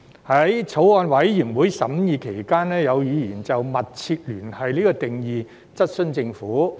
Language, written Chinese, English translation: Cantonese, 在法案委員會審議期間，有議員就"密切聯繫"的定義質詢政府。, During the deliberation of the Bills Committee some Members questioned the Government about the definition of substantial connection